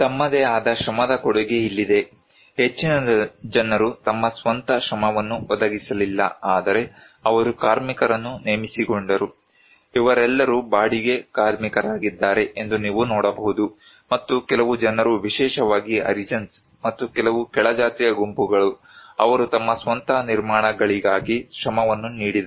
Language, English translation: Kannada, Here is the contribution of the labour for their own, most of the people they did not provide their own labour but they hired labour, you can see these all are hired labour and some few people especially the Harijans and some low caste groups, they contributed labour for their own constructions